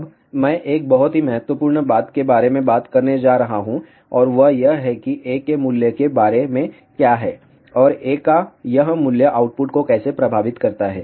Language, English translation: Hindi, Now, I am going to talk about one very very important thing and that is what about the value of A and how this value of A affects the output